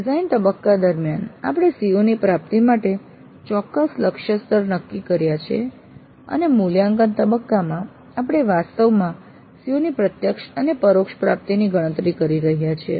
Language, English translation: Gujarati, So, during the design phase we have set certain target levels for the attainment of the COs and in the evaluate phase we are actually computing the direct and indirect attainment of COs